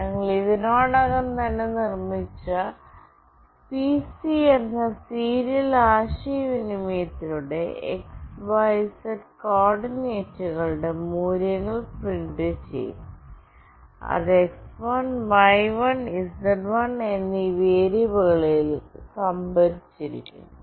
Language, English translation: Malayalam, And with the serial communication with the name “pc” that we have already made, we will print the values of the x, y and z coordinate, which is stored in variables x1, y1 and z1